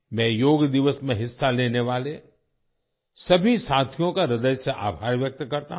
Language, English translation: Hindi, I express my heartfelt gratitude to all the friends who participated on Yoga Day